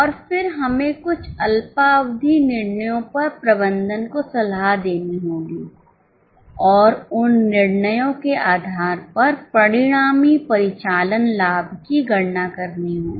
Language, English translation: Hindi, And then we have to advise the management on certain short term decisions and compute the resultant operating profit based on those decisions